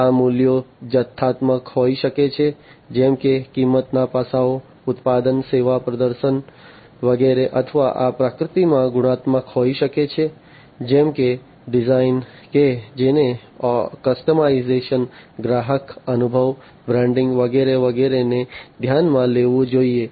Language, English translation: Gujarati, These values could be quantitative such as the price aspects of price, product, service performance, etcetera or these could be qualitative in nature such as the design that has to be considered the customization, the customer experience, the branding, etcetera etcetera